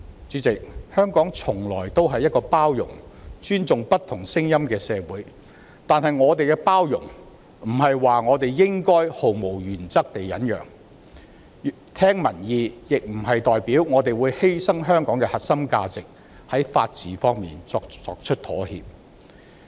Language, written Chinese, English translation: Cantonese, 主席，香港從來是一個包容並尊重不同聲音的社會；但是，包容的意思並非指我們應該毫無原則地忍讓，聆聽民意亦不是說我們會犧牲香港的核心價值，在法治方面作出妥協。, President Hong Kong is always a society that accommodates and respects different voices; however accommodation does not mean we should forebear without any principle and listening to public opinions does not mean sacrificing Hong Kongs core values and compromising the rule of law